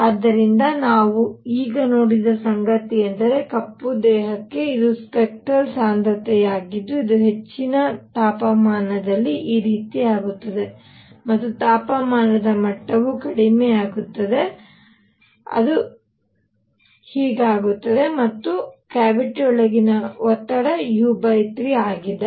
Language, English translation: Kannada, So, what we have seen now is that for a black body, this is spectral density which at high temperature is like this and as temperature level goes down; it becomes like this and pressure inside the cavity p is u by 3